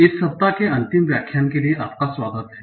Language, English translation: Hindi, So, welcome back for the final lecture of this week